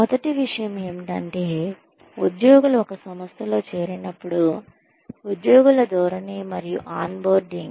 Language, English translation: Telugu, The first thing, that employees go through, when they join an organization is, employee orientation and on boarding